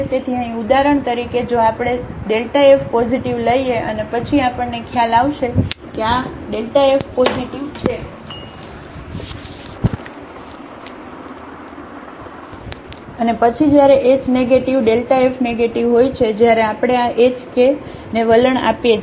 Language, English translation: Gujarati, So, here for example, if we take f x positive and then we will realize that this delta f is positive and then when h is negative delta f is negative when we let this h k tends to 0